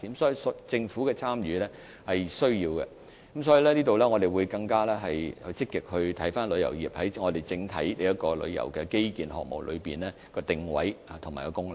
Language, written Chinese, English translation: Cantonese, 所以，政府的參與是必需的，我們也會更積極檢視旅遊業在整體旅遊基建項目的定位和功能。, Therefore the Governments participation is necessary . We will also review more actively the positioning and role of tourism industry in the overall tourism infrastructure projects